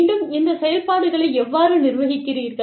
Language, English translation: Tamil, Again, how do you manage, these operations